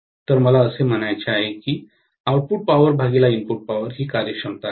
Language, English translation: Marathi, So, I have to say output power divided by input power, this is what is efficiency, right